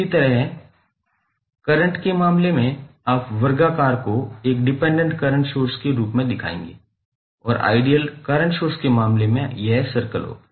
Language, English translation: Hindi, Similarly, in case of current you will see square as a dependent current source and in case of ideal current source it will be circle